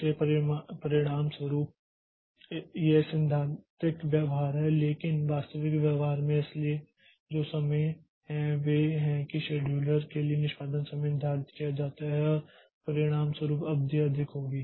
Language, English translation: Hindi, So, as a result, so this is the theoretical behavior but in the actual behavior so those of the, the execution time for the schedulers are to be taken into consideration and as a result the duration will be more